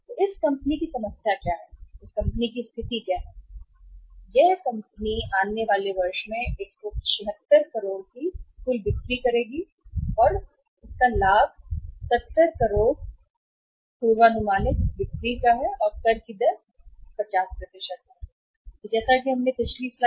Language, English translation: Hindi, What is the problem of this company is, what is the situation in this company is that this company has the total expected sales of 176 crores in the coming year and then the profit is 70 crores in the coming year that is of the forecasted sales and tax rate is 50% as we have seen in the previous slide